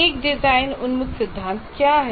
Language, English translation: Hindi, What is the design oriented theory